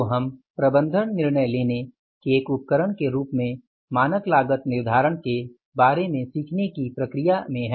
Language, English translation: Hindi, So, we are in the process of learning about the standard costing as a tool of management decision making